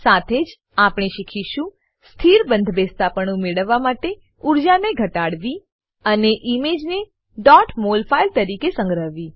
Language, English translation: Gujarati, We will also learn * To Minimize energy to get a stable conformation and * Save the image as .mol file